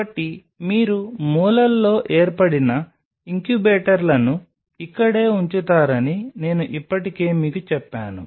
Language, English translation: Telugu, So, I have already told you that this is where you will be placing the incubators formed in the corners